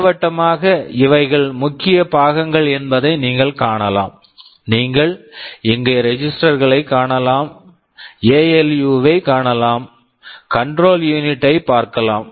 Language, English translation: Tamil, Schematically you can see these are the main components, you can see the registers here, you can see the ALU, you can see the control unit